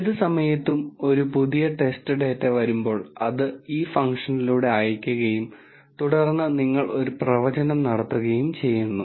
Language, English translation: Malayalam, And any time a new test data comes in, it is sent through this function and then you make a prediction